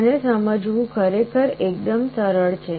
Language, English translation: Gujarati, This is actually quite simple to understand